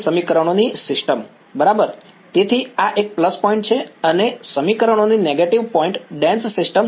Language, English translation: Gujarati, Dense system of equations right; so, this is a plus point and this is a negative point dense system of equations right